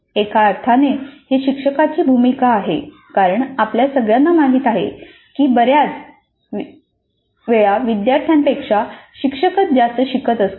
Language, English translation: Marathi, So in some sense it is the role of the teacher and as we all know in most of the cases the teacher learns more than the student